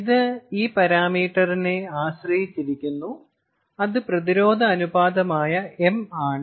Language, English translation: Malayalam, ok, it also depends on this parameter m which, if we recall, is the resistance ratio